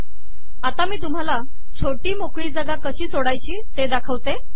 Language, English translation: Marathi, Now I want to show how to create a smaller space